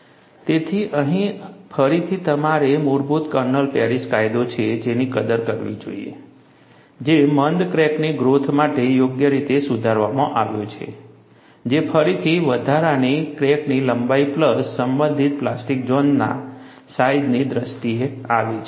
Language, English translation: Gujarati, So, here again you should appreciate, the basic kernel is Paris law, which is suitably modified to account for retarded crack growth, which again comes in terms of what is a incremental crack length plus the respective plastic zone sizes